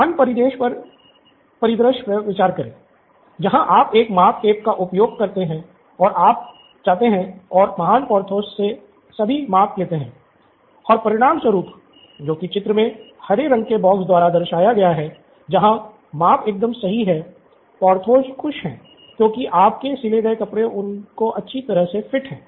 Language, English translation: Hindi, Let’s consider the other scenario, where you do use a measuring tape and you go and take all the measurements from Mr Porthos and as a result this represented by the green box, the measurements are perfect, absolutely perfect, they run very well, Mr